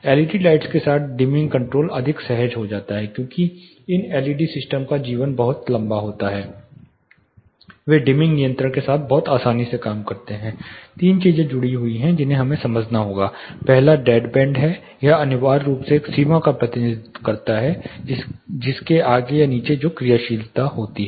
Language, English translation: Hindi, There was you know with LED lights the dimming control are become more seamless because the life of these LED systems are very long they work very easily with the dimming controls there are 3 things associated which we have to understand first is the dead band it essentially represents a threshold beyond which or below which the actuation actually happens